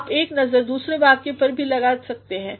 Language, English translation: Hindi, You can also have a look at the other sentence